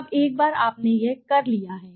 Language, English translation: Hindi, Now once you have done this